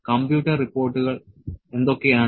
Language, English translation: Malayalam, What is the computer report